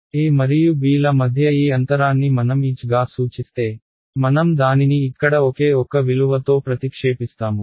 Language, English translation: Telugu, If this gap between a and b I denote as h, I replace this by one single value over here right